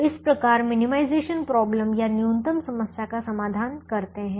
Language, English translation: Hindi, so this is how you solve a minimization problem